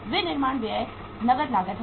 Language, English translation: Hindi, Manufacturing expenses is the cash cost